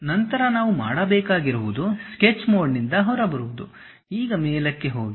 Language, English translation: Kannada, Then what we have to do is, come out of Sketch mode, go there top